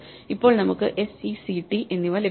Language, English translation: Malayalam, So, we get s e c and t